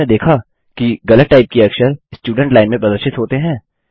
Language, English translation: Hindi, Do you see that mistyped character displayed in the students line.It is not displayed